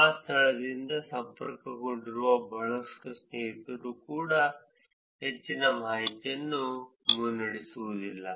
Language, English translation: Kannada, A lot of friends who may be connected from that location also will not lead a lot of information